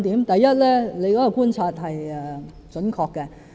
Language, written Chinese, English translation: Cantonese, 第一，張議員的觀察是準確的。, First Dr CHEUNG is accurate in his observation